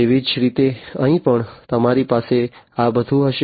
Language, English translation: Gujarati, Likewise, here also you are going to have all of these